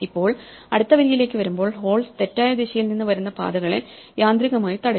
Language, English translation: Malayalam, Now, when we come to the next row, the holes will automatically block the paths coming from the wrong direction